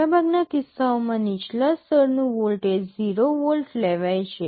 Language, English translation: Gujarati, For most cases the low level of voltage is taken to be 0 volt